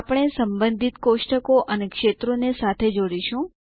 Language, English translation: Gujarati, We will connect the related tables and fields